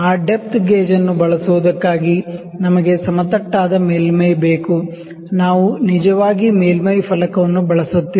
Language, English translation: Kannada, For using that depth gauge, I have we need a flat surface we are actually not using the surface plate